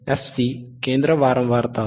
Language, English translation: Marathi, So, what is this frequency fc